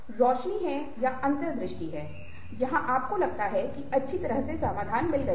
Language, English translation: Hindi, illumination is, or insight is, where you suddenly feel that, well, you have got the solution now